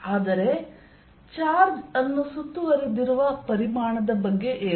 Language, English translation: Kannada, but what about a volume that encloses a charge